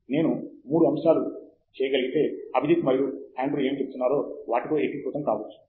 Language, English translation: Telugu, If I can just make three points, which are probably consolidation of what Abhijith and Andrew have been saying